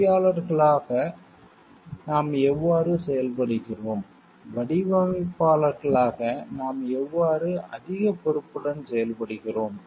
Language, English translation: Tamil, And how the we are acting as engineers, as designers how in a more responsible way we are acting